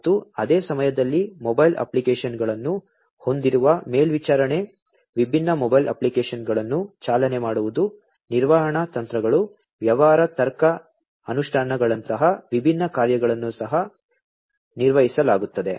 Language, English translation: Kannada, And at the same time different functionalities such as monitoring having mobile apps, running different mobile apps, management strategies, business logic implementations, are also performed